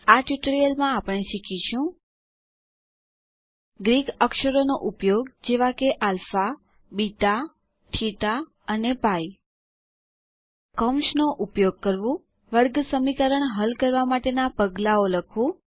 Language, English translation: Gujarati, To summarize, we learned the following topics: Using Greek characters like alpha, beta, theta and pi Using Brackets Writing Steps to solve a Quadratic Equation